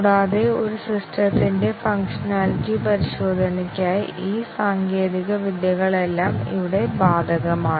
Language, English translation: Malayalam, And, all these techniques are applicable here for the functionality testing of a system